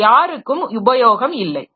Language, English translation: Tamil, So, it is of no use to anybody